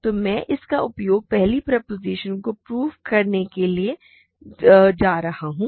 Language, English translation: Hindi, So, I am going to use this to prove the first second proposition